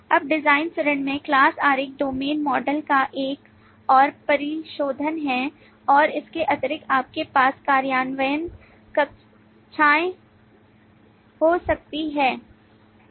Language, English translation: Hindi, the class diagram is a further refinement of the domain models and in addition you may have implementation classes